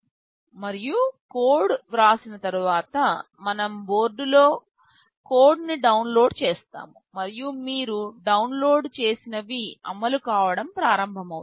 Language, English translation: Telugu, And, after writing the code we shall be downloading the code on the board and, whatever you have downloaded, it will start running